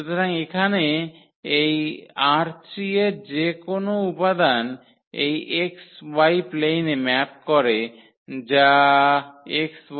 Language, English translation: Bengali, So, this any element here in R 3 it maps to this point in x y plain that is x y 0